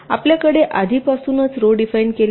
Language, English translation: Marathi, you already have the rows defined